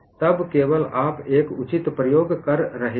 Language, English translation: Hindi, Then only you are doing a proper experimentation